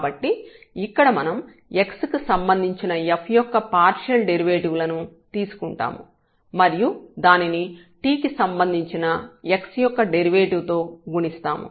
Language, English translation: Telugu, So, we will take here the partial derivatives of this f with respect to x and multiplied by the derivative of x with respect to t